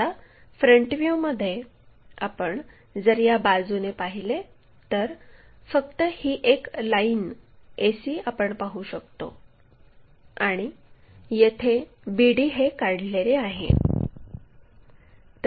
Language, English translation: Marathi, Now, in the front view if you are looking from this side, only this ac portion we will be in a position to see where bd are mapped